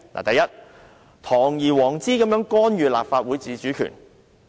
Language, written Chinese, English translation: Cantonese, 第一，堂而皇之干預立法會自主權。, Firstly he was blatantly interfering with the autonomy of the Legislative Council